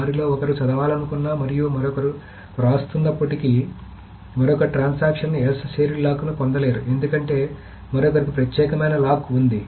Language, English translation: Telugu, Even if one of them wants to read and the other is writing, the other transaction will not be able to get the X, the shared lock, because the other has got the exclusive lock